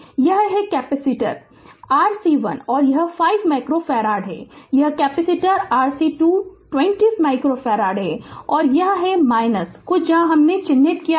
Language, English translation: Hindi, So, here we have taken we want this is the capacitor C 1 it is 5 micro farad this is capacitor C 2 20 micro farad, and this is plus minus some where I have marked plus minus